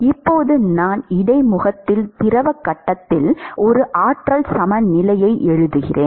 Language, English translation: Tamil, Now I write a an energy balance in the fluid phase at the interface